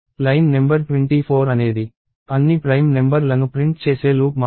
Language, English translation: Telugu, And line number 24 is just a loop which prints all the prime numbers